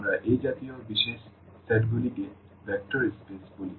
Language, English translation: Bengali, So, here this vector spaces they are the special set here